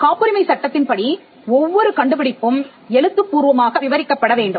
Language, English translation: Tamil, In patent law every invention needs to be described in writing